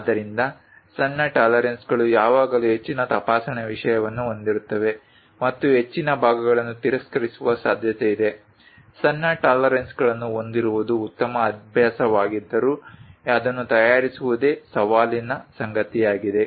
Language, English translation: Kannada, So, small tolerances always have a greater inspection thing and high is a highly likely that many parts will be rejected, though it is a good practice to have smaller tolerances, but making that itself is challenging